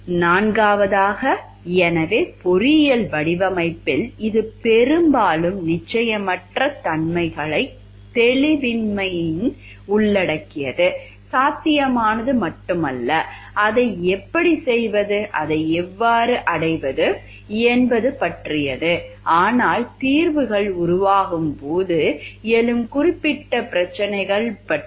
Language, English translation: Tamil, Fourth so in engineering design it often involves uncertainties and ambiguities, not only about what is possible, but how to do it how to achieve it; but also about the specific problems that will arise as solutions are developed